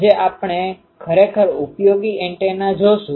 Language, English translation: Gujarati, Today we will see a really useful antenna